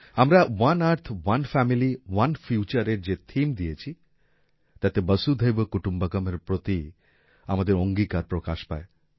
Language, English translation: Bengali, The theme that we have given "One Earth, One Family, One Future" shows our commitment to Vasudhaiva Kutumbakam